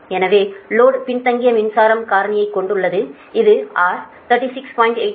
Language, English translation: Tamil, so load has lagging power factor, that is delta